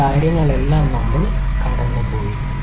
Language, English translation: Malayalam, All of these things we have gone through